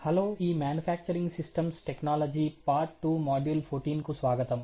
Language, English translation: Telugu, Hello and welcome to this manufacturing systems technology part 2 module 14